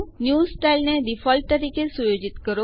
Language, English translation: Gujarati, Set Next Style as Default